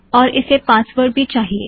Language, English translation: Hindi, And it also wants the password